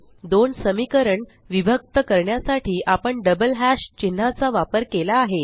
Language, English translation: Marathi, We have used the double hash symbols to separate the two equations